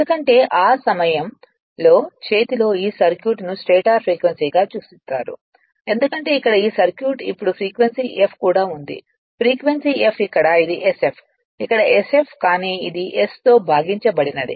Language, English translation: Telugu, Because at that time your what you call right hand this circuit is referred to your like your stator frequency because this circuit this circuit here it is now frequency F there also frequency F here it was sf here it is sjf, but this one as divided by s